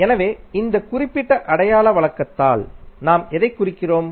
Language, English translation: Tamil, So, what we represent by these particular sign conventions